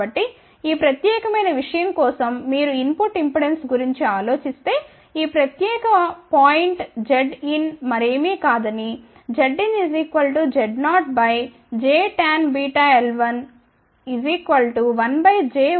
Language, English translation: Telugu, So, for this particular thing you can think about input impedance at this particular point z n is equal to nothing, but z 0 divided by j tan beta l 1, which is equal to 1 by j omega C 1